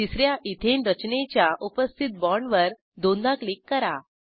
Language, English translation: Marathi, Click on the existing bond of the third Ethane structure twice